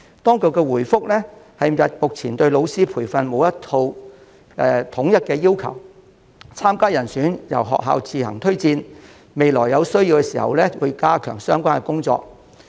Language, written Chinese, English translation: Cantonese, 當局回覆謂目前對老師的培訓並沒有一套統一的要求，參加人選由學校自行推薦，未來有需要時會加強相關工作。, The Administration replied that a set of standardized requirements was currently not in place for teacher training candidates attending training courses would be nominated by schools on their own and it would enhance efforts in this regard in the future when necessary